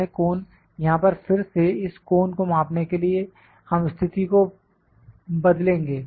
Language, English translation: Hindi, This cone here again we will change the position to measure this cone